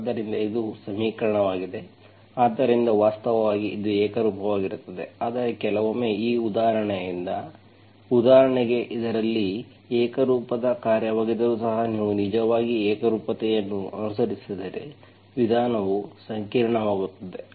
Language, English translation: Kannada, So this is equation, so actually it is a homogenous but sometimes, since this example, for example in this, even though this is a homogeneous function, if you actually follow the homogeneous, method will be complicated